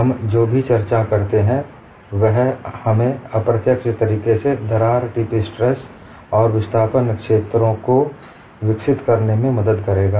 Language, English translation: Hindi, Whatever the discussion that we do, it will help us to develop the crack tip stress and displacement fields in an indirect manner